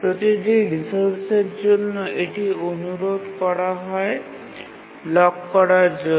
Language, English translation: Bengali, So, for each of the resources it requests, it may undergo blocking